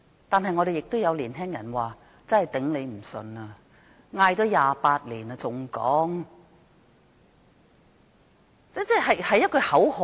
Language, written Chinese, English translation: Cantonese, 但是，亦有年輕人說，喊了28年，難以再接受這口號。, However for some young people this slogan has been chanted for 28 years and they are fed up with it